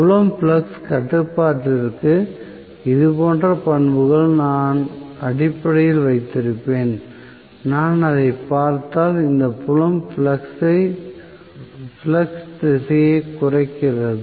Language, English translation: Tamil, So, I will have basically the characteristics somewhat like this, for the field flux control; and if I look at it this field flux decreasing direction